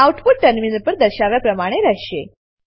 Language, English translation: Gujarati, The output will be as displayed on the terminal